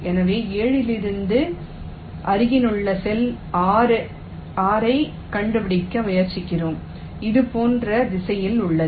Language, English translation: Tamil, so from seven, we try to find out an adjacent cell, six, which is in same direction